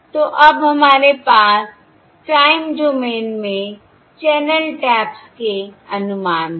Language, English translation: Hindi, So now we have the estimates of the channel taps in the time domain